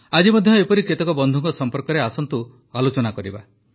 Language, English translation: Odia, Today also, we'll talk about some of these friends